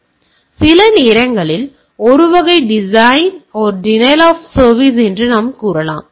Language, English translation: Tamil, So, sometimes we can say that this is a type of denial of service